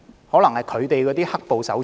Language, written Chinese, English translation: Cantonese, 可能是他們的"黑暴"手足。, Probably their black - clad brothers